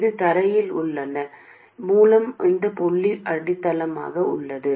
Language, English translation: Tamil, This is ground by the way, this point is grounded